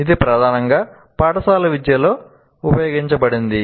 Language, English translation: Telugu, It is mainly used in school education